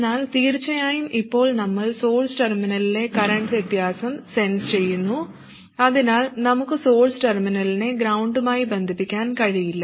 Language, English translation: Malayalam, But of course now we are sensing the current difference at the source terminal so we cannot connect the source terminal to ground